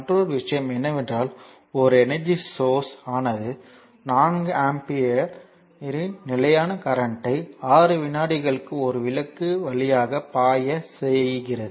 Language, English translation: Tamil, So, and another thing is and a energy source your forces a constant current of 4 ampere for 6 second to flow through a lamp